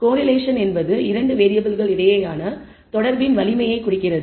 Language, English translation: Tamil, Correlation is nothing but the indicates the strength of association between the 2 variables